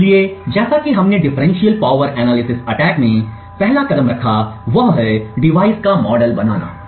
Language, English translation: Hindi, So, as we discussed the first step in a differential power analysis attack is to create a model of the device